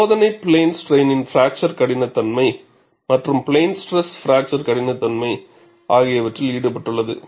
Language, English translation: Tamil, See, the testing is so involved in plane strain fracture toughness, as well as plane stress fracture toughness